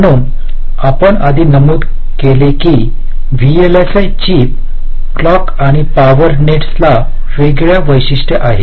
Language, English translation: Marathi, so we mentioned earlier that with respect to routing nets on a vlsi chip, clock and the power nets have very distinct characteristics